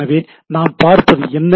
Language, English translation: Tamil, So, what we look at it